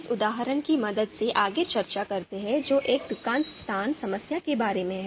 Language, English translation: Hindi, So let’s discuss further with the help of this example which is about a shop location problem